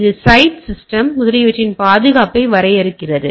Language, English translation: Tamil, This defines the security of the site system etcetera right